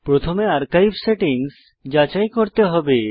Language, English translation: Bengali, First we must check the archive settings